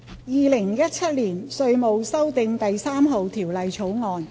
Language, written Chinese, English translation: Cantonese, 《2017年稅務條例草案》。, Inland Revenue Amendment No . 3 Bill 2017